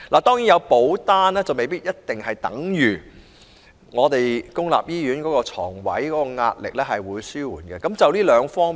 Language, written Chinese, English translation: Cantonese, 當然，有保單未必等於公營醫院床位的壓力會得以紓緩。, Certainly the purchase of health policies does not imply that pressure on public hospital beds will be alleviated